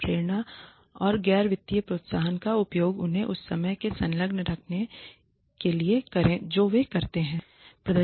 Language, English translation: Hindi, Use motivation and non financial incentives to keep them engaged in the work that they do